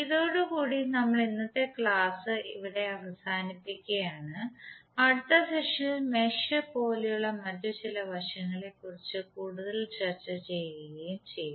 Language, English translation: Malayalam, So with this we close our today’s session and in the next session we will discuss more about the other certain aspects like what is mesh